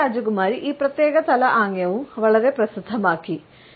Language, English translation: Malayalam, Princess Diana has also made this particular head gesture very famous